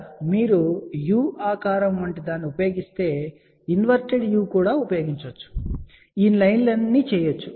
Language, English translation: Telugu, So, if you use something like a u shape here, and this also can be used like a inverted u shape here and the all these lines can be done